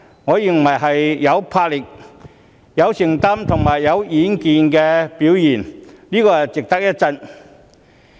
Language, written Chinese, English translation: Cantonese, 我認為這是有魄力、有承擔及有遠見的表現，值得一讚。, I have to commend the Financial Secretary for his boldness commitment and vision